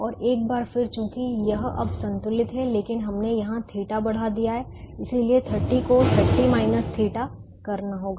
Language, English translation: Hindi, and once again, since this is balanced now, but we have increased a theta here, so thirty has to become thirty minus theta